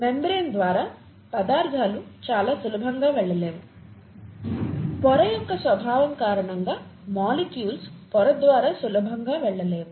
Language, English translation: Telugu, Substances cannot very easily pass through the membrane; molecules cannot very easily pass through the membrane because of the nature of the membrane